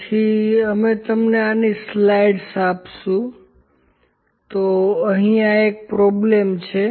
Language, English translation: Gujarati, So, we will provide you this in the slides, so this is a problem here